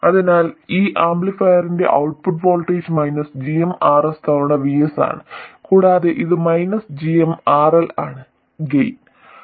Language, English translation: Malayalam, So, the output voltage of this amplifier is minus GMRL times VS and this minus GMRL is the gain